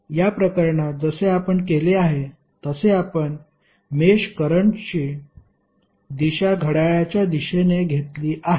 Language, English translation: Marathi, Like in this case we have done the, we have taken the direction of the mesh currents as clockwise